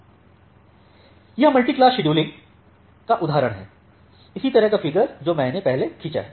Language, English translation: Hindi, So, here is the example of this multiclass scheduling, the similar kind of figure that I have drawn earlier